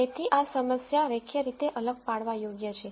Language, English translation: Gujarati, So, this problem is linearly separable